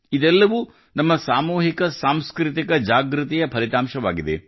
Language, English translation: Kannada, All this is the result of our collective cultural awakening